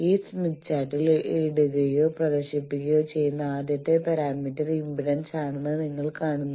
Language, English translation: Malayalam, You see that the first parameter that is put or displayed in this smith chart is Impedance